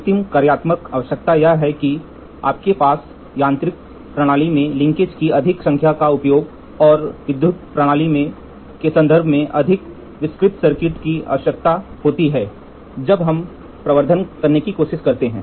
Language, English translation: Hindi, The functional requirement last point is going to be you should have the amplification demand used of more number of linkage in mechanical system and a more elaborate circuit in terms of electrical system is required when we try to do amplification, right